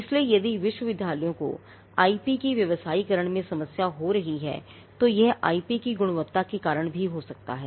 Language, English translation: Hindi, So, if universities are having problem in commercializing IP it could also be due to the quality of the IP itself